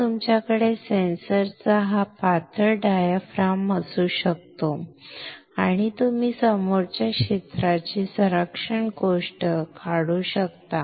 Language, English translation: Marathi, So, you can have this thin diaphragm of the sensor and then you can remove the front area protection thing